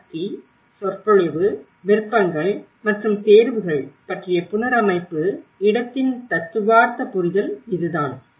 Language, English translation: Tamil, And this is how the theoretical understanding of the reconstruction space about the how power, discourse, options and choices